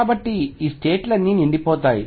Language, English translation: Telugu, So, all these states are going to be filled